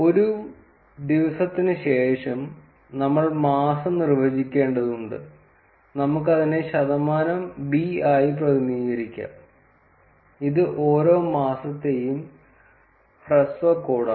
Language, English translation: Malayalam, After day, we need to define the month and we can represent it as percentage b, which is the short code for each of the months